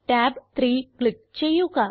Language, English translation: Malayalam, Now, click on tab 3